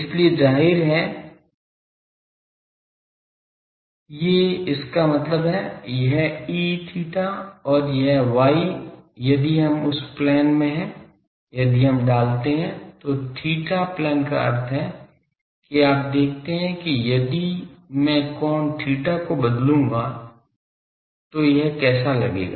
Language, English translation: Hindi, So; obviously these; that means, this E theta and this y if we in that plane if we put, theta plane means you see that how it will be look like if I vary the angle theta